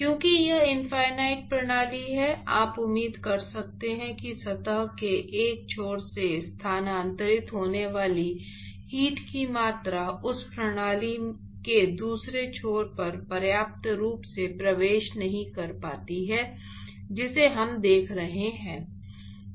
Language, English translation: Hindi, So, because it is infinite system, you could expect that the amount of heat that is transferred from one end of the surface is not penetrated sufficiently enough to the other end of the system that we are looking at